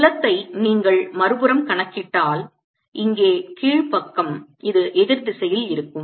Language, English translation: Tamil, if you calculate the field on the other side, the lower side, here this will be opposite direction